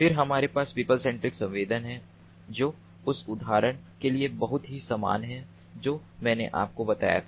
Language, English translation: Hindi, then we have the people centric sensing, very similar to the example that i just told you